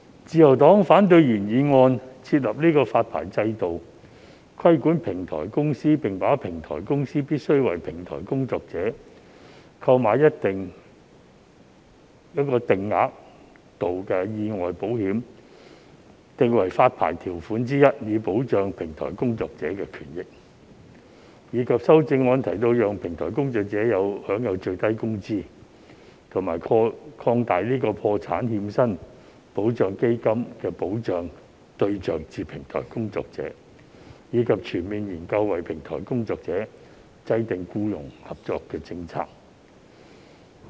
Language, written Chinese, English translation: Cantonese, 自由黨反對原議案提出"設立發牌制度規管平台公司，並把平台公司必須為平台工作者購買一定額度的意外保險訂為發牌條款之一，以保障平台工作者的權益"，以及修正案提到"讓平台工作者享有最低工資"和"擴大破產欠薪保障基金的保障對象至平台工作者，以及全面研究為平台經濟制訂僱傭政策"。, The Liberal Party opposes the proposals put forward in the original motion to set up a licensing regime for regulating platform companies and to make the taking out of accident insurance with a certain insured amount by platform companies for their platform workers one of the licensing terms and conditions so as to protect the rights and interests of platform workers as well as those put forward in the amendments to enable platform workers to enjoy such protection as minimum wage and expand the target coverage of the Protection of Wages on Insolvency Fund to platform workers and conduct a comprehensive study on the formulation of an employment policy for platform economy